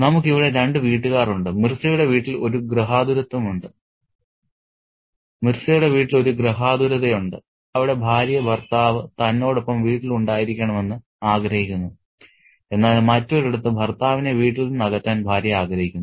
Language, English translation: Malayalam, There is one domesticity in Mirza's home where the wife wants the husband at home with her while there is another where the wife wants the husband away from the home